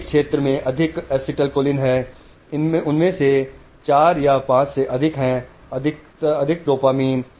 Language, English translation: Hindi, One area has more astelcholine, one has more, four or five of them have more dopamine